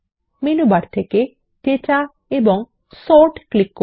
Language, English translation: Bengali, From the Menu bar, click Data and Sort